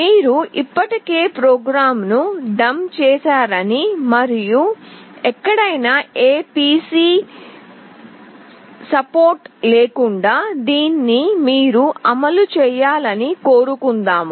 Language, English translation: Telugu, Let us say you have already dumped the program and you want it to run without the support of any PC anywhere